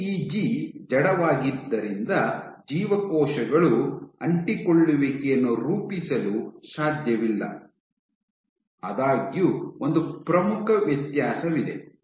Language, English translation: Kannada, So, PEG being inert cells cannot form adhesions; however, there was one important difference